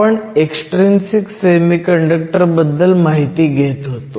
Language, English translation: Marathi, So, we have looked at intrinsic and extrinsic semiconductors